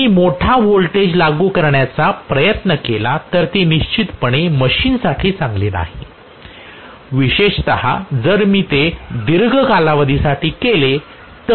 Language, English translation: Marathi, So if I try to apply a larger voltage it is definitely not good for the machine especially if I do it for prolong periods of time